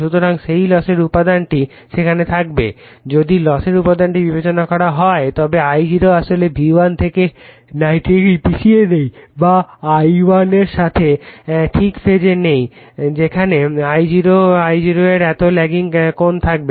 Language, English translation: Bengali, So, because of that some loss component will be there, if you consider the loss component then I0 actually is not exactly lagging 90 degree from V1 or not exactly is in phase with ∅ 1 there will be some lagging angle of I0